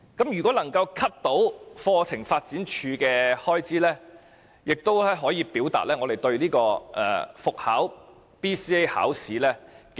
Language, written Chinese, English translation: Cantonese, 如果能夠削減課程發展處的開支，亦可以表達我們不支持復考 BCA。, If we can deduct the estimated expenditure of CDI we can express our opposition against resuming BCA